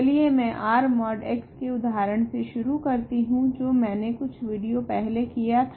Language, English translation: Hindi, Let me start with the example that I did a few videos ago about R mod x